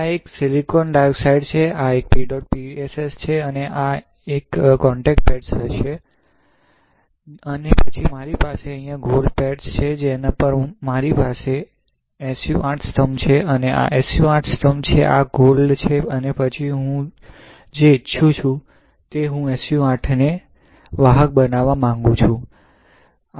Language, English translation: Gujarati, So, this one is silicon dioxide, this one is PEDOT PSS, this one would be contact pads alright, and then I have here gold pad on which I have SU 8 pillar, this is SU 8, this is gold alright Then what I want, I want SU 8 to be conductive